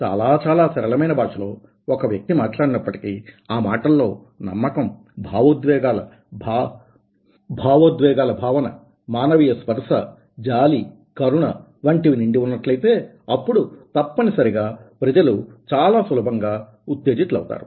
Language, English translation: Telugu, if a person can speak even a simple language, but if it is loaded with the confidence, with the emotional feeling, with the human touch, ah, with the sympathy, with the empathy, then definitely people will be hm, will get very easily motivated